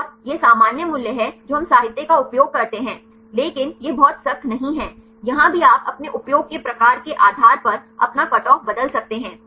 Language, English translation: Hindi, And this is the general values we use the literature, but this not very strict here also you can change your cutoff based on the type of application you use